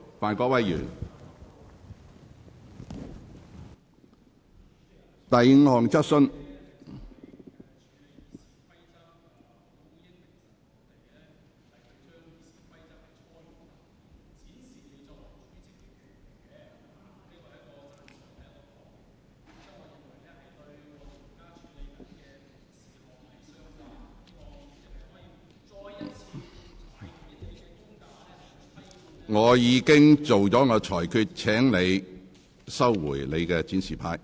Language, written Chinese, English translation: Cantonese, 范議員，我已作出裁決，請你把展示牌收起。, Mr FAN I have already made my ruling . Please remove your display board